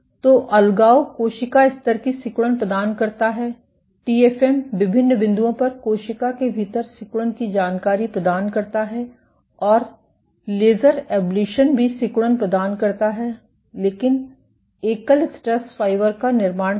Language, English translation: Hindi, So, deadhesion provides the cell level contractility, TFM provides contractility information within the cell at different points and laser ablation also provides contractility, but form a single stress fiber